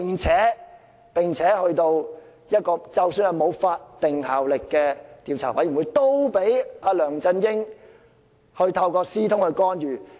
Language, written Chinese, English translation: Cantonese, 即使只啟動沒有法定效力的專責委員會，梁振英也透過私通來干預。, Even though the Select Committee established does not have statutory powers LEUNG Chun - ying still interfered our work through secret dealings